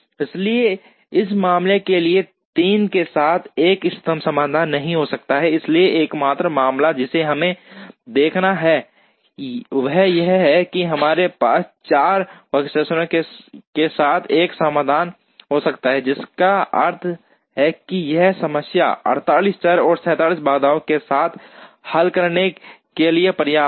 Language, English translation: Hindi, So, there cannot be an optimum solution with 3 for this case, so the only case that we have to look at is can we have a solution with 4 workstations, which means it is enough to solve this problem with 48 variables and 67 constraints